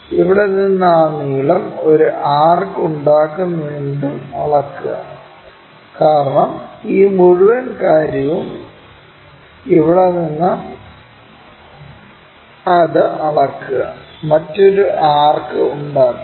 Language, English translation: Malayalam, From here measure the thing whatever that length make an arc, because this entire thing; from here also measure this one make another arc